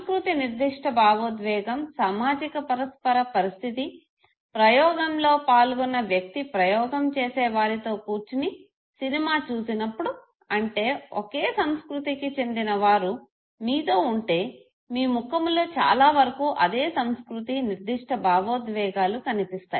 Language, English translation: Telugu, And culture specific expression was observed in social reciprocation condition, that is when the individual, the participant was viewing the film with the experimenter that means, that when you have people from your own cultural background around you, your face largely reflects the culture specific expressions okay